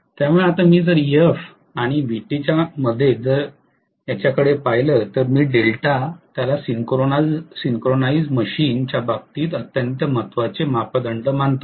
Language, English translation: Marathi, So now if I now look at it between Ef and Vt that is the angle of delta, I call this as delta this is the very very significant parameter in the case of a synchronous machine